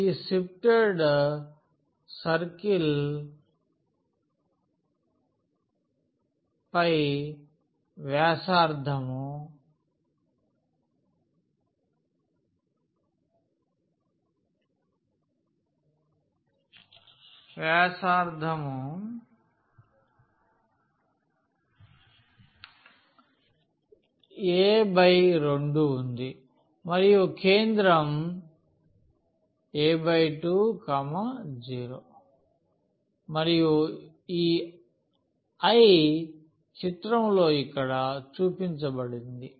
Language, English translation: Telugu, This is a sifted circle where radius is a by 2 and the center is a by 2 and 0 and I shown here in the in this figure